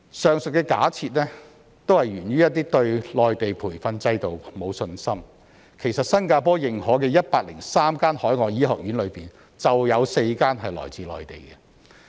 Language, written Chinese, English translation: Cantonese, 上述假設是源於對內地培訓制度沒有信心，其實新加坡認可的103間海外醫學院中，就有4間來自內地。, The above assumptions are attributed to a lack of confidence in the Mainland training system . In fact among the 103 overseas medical schools recognized by Singapore four are from the Mainland